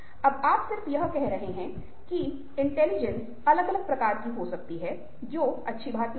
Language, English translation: Hindi, now you just saying that intelligences can be of different kinds is not good enough